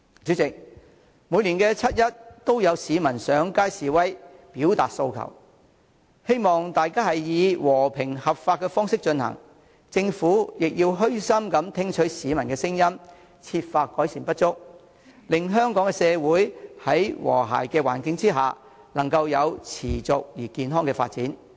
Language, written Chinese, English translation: Cantonese, 主席，每年七一都有市民上街示威、表達訴求，希望大家以和平合法的方式進行，政府亦要虛心聽取市民的聲音，設法改善不足，令香港社會能夠在和諧的環境之下，持續地健康發展。, President each year on 1 July there are people who take to the streets to voice their aspirations . I hope that people will express their wishes in a peaceful and lawful manner . The Government should listen to the peoples views humbly and endeavour to make improvements so that Hong Kong can continue to develop healthily in a harmonious environment